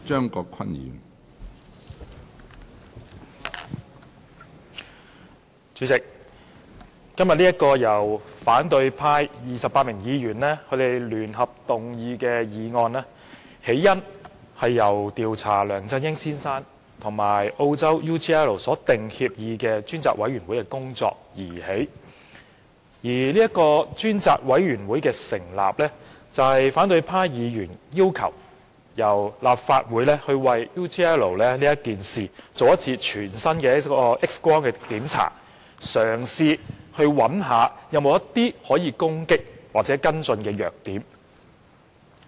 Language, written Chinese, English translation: Cantonese, 主席，今天這項由反對派28名議員聯合動議的議案，源於"調查梁振英先生與澳洲企業 UGL Limited 所訂協議的事宜專責委員會"的工作，而專責委員會的成立，是反對派議員要求立法會就 UGL 事件做一次全身 "X 光"檢查，試圖找出任何可以攻擊或跟進的弱點。, President the origin of this motion initiated jointly by 28 opposition Members today stemmed from the work of the Select Committee to Inquire into Matters about the Agreement between Mr LEUNG Chun - ying and the Australian firm UGL Limited and the establishment of the Select Committee is a request put forward by opposition Members to conduct a thorough X - ray examination by the Legislative Council in an attempt to find out the Archilles heel that can possibly be attacked or followed up